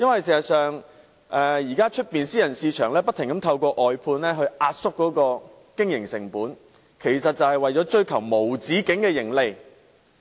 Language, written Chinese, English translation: Cantonese, 事實上，現時私人市場不停透過外判來壓縮經營成本，是為了追求無止境的盈利。, As a matter of fact now the private market keeps pushing down operational costs through outsourcing in its endless pursuit of profits